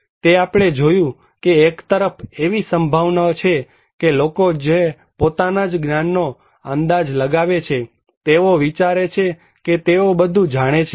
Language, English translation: Gujarati, So, we found that one side, there is a possibility that people who are estimate their own knowledge, they think, they know everything